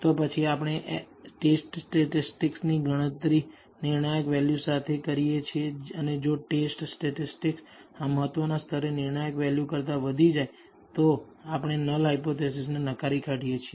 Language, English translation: Gujarati, Then we compare the test statistic with the critical value and if the test statistic exceeds the critical value at this level of significance ,then we reject the null hypothesis